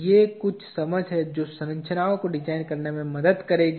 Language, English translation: Hindi, These are some understandings which will help in designing structures